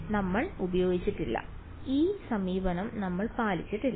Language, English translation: Malayalam, No we did not use we did not follow this approach